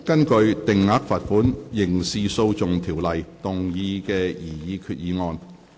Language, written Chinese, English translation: Cantonese, 根據《定額罰款條例》動議的擬議決議案。, Proposed resolution under the Fixed Penalty Ordinance